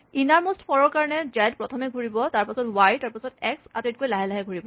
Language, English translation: Assamese, The innermost for, so z will cycle first, then y, and then x will cycle slowest